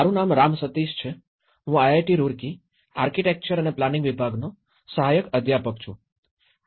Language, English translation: Gujarati, My name is Ram Sateesh; I am an assistant professor in Department of Architecture and Planning, IIT Roorkee